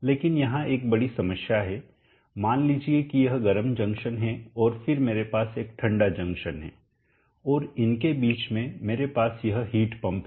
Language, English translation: Hindi, And there is one major problem, let us say that is the hot junction and then I have a cold junction, and in between I am having this heat pump